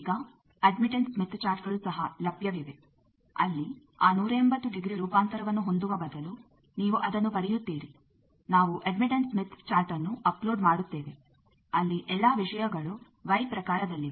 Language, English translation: Kannada, Now, also there are admittance smith charts available where instead of having that 180 degree transform people have done that for you, so you will be getting it we will be uploading admittance smith chart also where the all the things are in terms of y